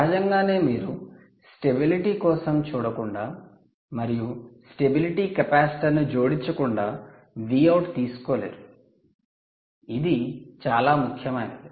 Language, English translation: Telugu, obviously, you cant take the v out without providing, without looking for the stability, without adding the stability capacitor, which is very critical